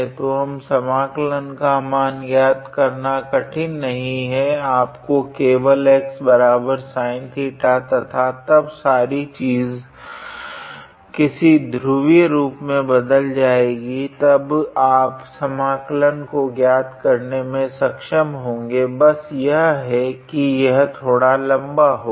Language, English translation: Hindi, So, evaluating this integral is not complicated, you just have to substitute x equals to sum a sine theta and then convert the whole thing in some polar coordinates and then you will basically be able to evaluate this integral; it just that it is slightly lengthy